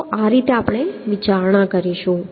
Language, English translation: Gujarati, So this is how we will consider